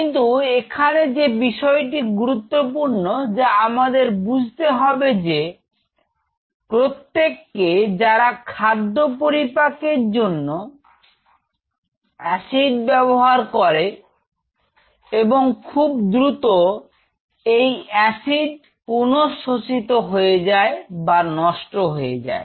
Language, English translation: Bengali, But what is important for us to realize that it is not every cell and they utilize this acid to break the food and soon after that this acid is kind of you know again re absorbed or kind of you know it is destroyed